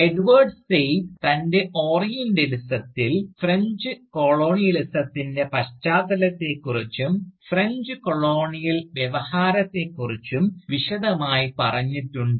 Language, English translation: Malayalam, And, this in spite of the fact, that Edward Said in his Orientalism, had spoken extensively, about the context of French Colonialism, and the French Colonial Discourse